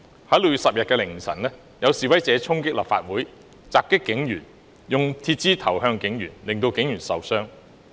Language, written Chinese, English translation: Cantonese, 在6月10日凌晨，有示威者衝擊立法會，襲擊警員，用鐵枝擲向警員，令警員受傷。, In the small hours of 10 June some protesters stormed the Legislative Council Complex assaulted police officers and hurled metal bars at the latter inflicting injuries on them